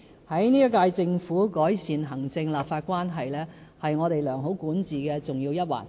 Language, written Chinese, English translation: Cantonese, 本屆政府將致力改善行政立法關係，這是我們良好管治的重要一環。, The current Government is committed to improving the relationship between the executive and the legislature which is an important segment of our good governance